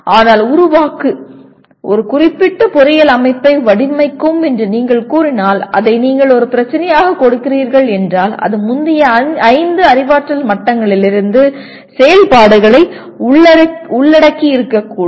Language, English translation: Tamil, But if you say create, design a particular engineering system if you are giving it as a problem it is likely to involve activities from all the previous five cognitive levels